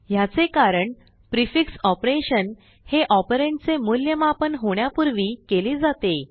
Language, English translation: Marathi, This is because a prefix operation occurs before the operand is evaluated